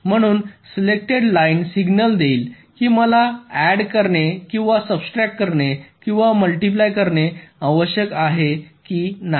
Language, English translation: Marathi, so the select line will give the signal whether i need to do the addition or subtraction or multiplication